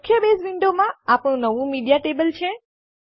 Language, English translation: Gujarati, In the main Base window, there is our new Media table